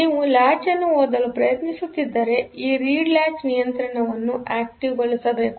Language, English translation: Kannada, If you are trying to read the latch, then this read latch control has to be activated